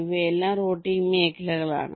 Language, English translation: Malayalam, ok, these are all routing regions